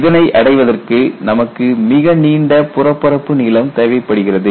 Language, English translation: Tamil, So, for it to attain this, you need to have a long surface length